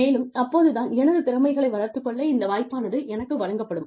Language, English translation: Tamil, And, only then, will I be given this opportunity, to develop my skills, here